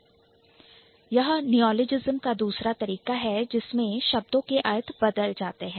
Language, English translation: Hindi, Then the second thing is how neologism works when you are trying to change the meaning of the word